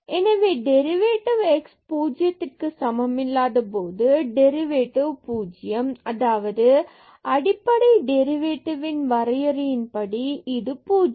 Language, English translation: Tamil, So, this is the derivative when x is not equal to 0 and we can get this derivative as 0 when x is equal to 0 by the fundamental definition of the derivative